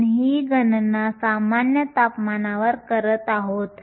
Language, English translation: Marathi, We are doing this calculation at room temperature